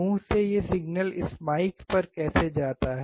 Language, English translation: Hindi, How does this signal from the mouth go to this mike